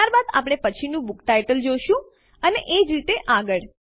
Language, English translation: Gujarati, Then we will see the next book title, and so on